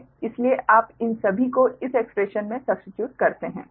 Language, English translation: Hindi, so you substitute, you substitute in this expression all these right